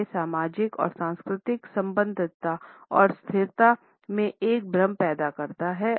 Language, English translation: Hindi, They create an illusion of social and cultural affiliation and stability